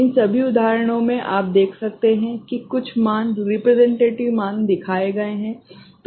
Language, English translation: Hindi, So, in all these examples, you can see that some values have been, representative values have been shown